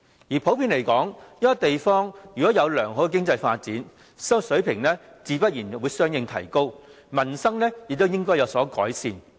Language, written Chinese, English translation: Cantonese, 而普遍來說，一個地方如果有良好的經濟發展，生活水平自然會相應提高，民生亦會有所改善。, Generally speaking when a place enjoys good economic development its living standards will rise accordingly and its livelihood will be improved